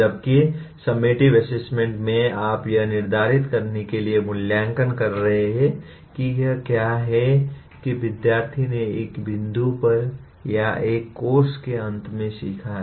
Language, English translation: Hindi, Whereas summative assessment is, you are assessing to determine to what is it that the student has learnt either up to a point or at the end of a course